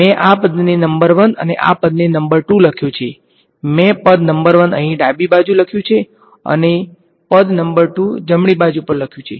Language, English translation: Gujarati, I have written this term number 1 and this term number 2, I have written term number 1, on the left and term number 2 on the right you could write it the other way